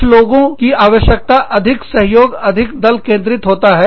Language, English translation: Hindi, Some people need, are more co operative, more team oriented